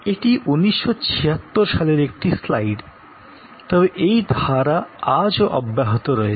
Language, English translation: Bengali, And as a result this is a slide from 1976, but this trend is continuing